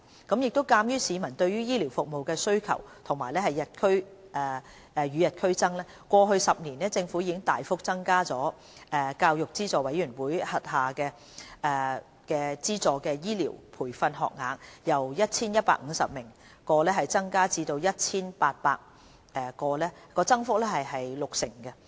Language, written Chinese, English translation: Cantonese, 鑒於市民對醫療服務的需求與日俱增，過去10年，政府已大幅增加大學教育資助委員會資助的醫療培訓學額，由約 1,150 個增至約 1,800 個，增幅約六成。, In view of the increasing demand for health care services the Government has substantially increased the number of University Grants Committee UGC - funded health care training places by about 60 % from about 1 150 to about 1 800 over the past 10 years